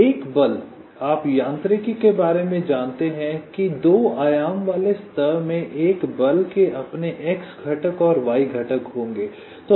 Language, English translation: Hindi, so a force, you know, even if you are a mechanic a force will be having its x component and y component in a two dimension plane